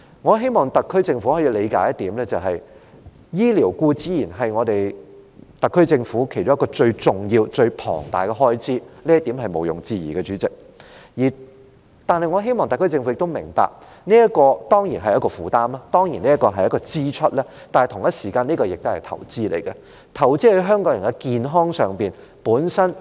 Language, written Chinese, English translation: Cantonese, 我希望特區政府理解，醫療固然是特區政府其中一項最重要、最龐大的開支，這一點毋庸置疑，主席，但我希望特區政府亦明白，這固然是一種負擔、是一項支出，然而，同時候這也是一項投資，是投資在香港人的健康上。, I hope the SAR Government can comprehend that healthcare is certainly one of its key and largest expenditure items . This is undeniable President but I hope the SAR Government can also understand that while this surely is a burden and an item of expenditure this at the same time is also an investment as it is investing in the health of Hong Kong people